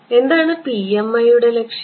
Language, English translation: Malayalam, Our goal is what is the goal of PMI